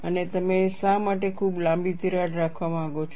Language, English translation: Gujarati, And, why do you want to have a very long crack